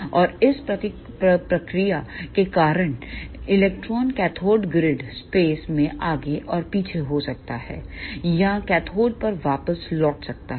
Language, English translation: Hindi, And because of this process electron may oscillate back and forth in the cathode grid space or return back to the cathode